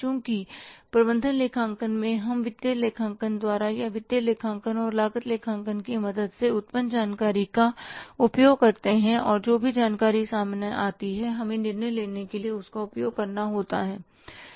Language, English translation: Hindi, So in the management accounting we use the information generated by the financial accounting or with the help of financial accounting and cost accounting and whatever that information comes up we will have to use that for the decision making